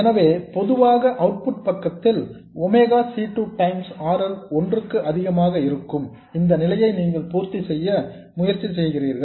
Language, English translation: Tamil, So, typically on the output side you would try to satisfy this condition, that is omega C2 times RL being much more than 1